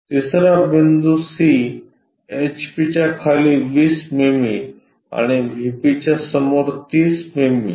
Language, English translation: Marathi, The third point point C 20 mm below HP and 30 mm in front of VP